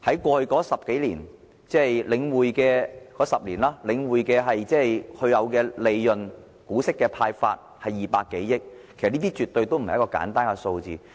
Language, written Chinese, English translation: Cantonese, 過去這10多年，即領匯的10年，它派發的股息達200多億元，這絕對不是一個簡單的數字。, In these 10 years or so that means the 10 years of The Link the amount of dividends distributed reached some 20 billion which is absolutely not a simple figure